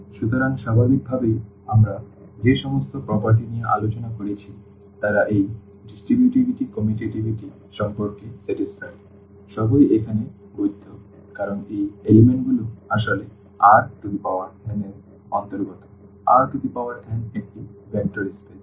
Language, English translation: Bengali, So, naturally all the properties which we discussed, they are satisfied automatically about this distributivity, commutativity all are valid here because these elements actually belong to R n; R n is a vector space